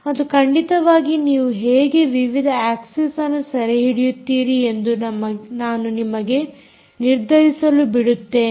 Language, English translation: Kannada, and, of course, i let you decide ah, figure out how you will capture the different axis as well